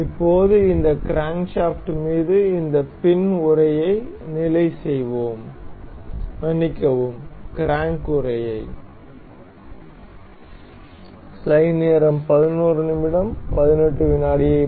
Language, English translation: Tamil, Now, let us fix this crank this fin casing over this crankshaft, sorry the crank casing